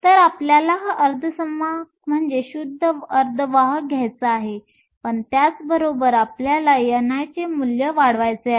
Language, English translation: Marathi, So, we want to keep this semiconductor your pure semiconductor, but at the same time, we want to increase the value of n i